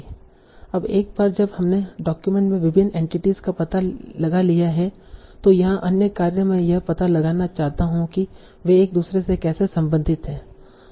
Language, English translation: Hindi, Now once we find out various entities in the document, other tasks here could be that I want to find out how they are related to each other